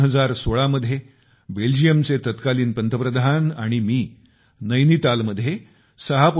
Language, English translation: Marathi, In 2016, the then Prime Minister of Belgium and I, had inaugurated the 3